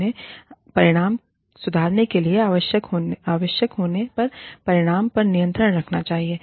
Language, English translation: Hindi, And, they should have control over the outcome, by doing, what is necessary to improve the outcome